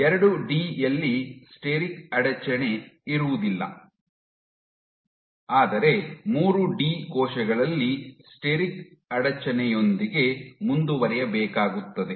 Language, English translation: Kannada, In 2D steric hindrance is absent, but in 3D cells would have to continue with steric hindrance